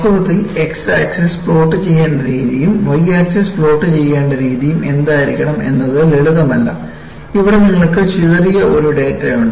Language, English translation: Malayalam, In fact, arriving at, what should be the way x axis to be plotted and y axis to be plotted is not simple and what you see here is, you have a scatter of data